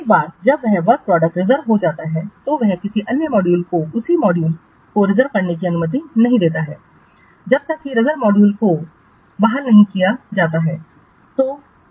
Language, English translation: Hindi, Once that work product is reserved, it does not allow anybody else to reserve the same module until the reserve module is reserved